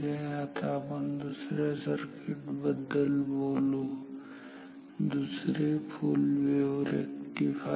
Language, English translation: Marathi, Now let us talk about another circuit another full wave rectifier